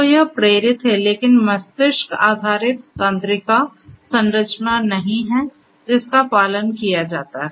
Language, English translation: Hindi, So, you know it is inspired, but not exactly you know brain based neural structure that is followed